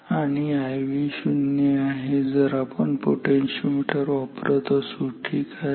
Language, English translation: Marathi, And I V is equal to 0 if we are using potentiometer ok